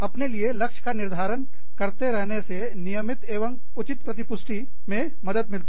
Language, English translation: Hindi, Setting goals for yourself, helps regular and appropriate feedback